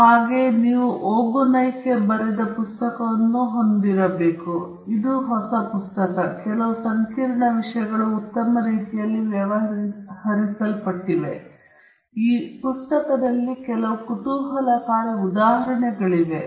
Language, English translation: Kannada, Then, you also have the book written by Ogunnaike; this is a new book, and some of the complex topics are dealt in a nice manner; there are some interesting examples also in this book